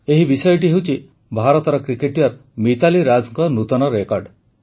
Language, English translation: Odia, This subject is the new record of Indian cricketer MitaaliRaaj